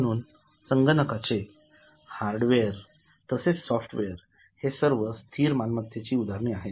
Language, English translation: Marathi, So, hardware as well as software, all these are examples of fixed assets